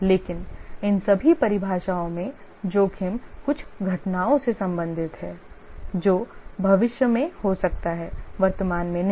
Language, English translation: Hindi, But in all these definitions, the risk relate to some events that may occur in the future, not the current ones